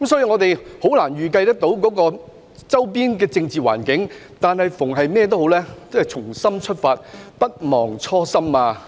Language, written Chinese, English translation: Cantonese, 我們難以預計周邊的政治環境，但對於所有事，我們應不忘初心。, It was difficult for us to predict the political atmosphere of a neighbouring place but in any case we should not forget our original intent